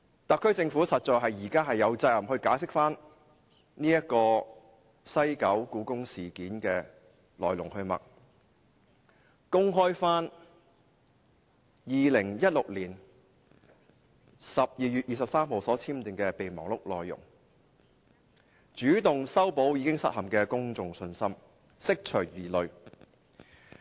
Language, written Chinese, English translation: Cantonese, 特區政府現時實在有責任解釋西九故宮館事件的來龍去脈，公開2016年12月23日簽訂的備忘錄內容，主動修補已失陷的公眾信心，釋除疑慮。, Now the SAR Government is obliged to explain the course of events concerning HKPM at WKCD and make the content of the memorandum signed on 23 December 2016 open taking the initiative to restore the shattered confidence of the public and dispel their doubts